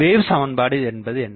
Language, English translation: Tamil, So, what is this equation tells us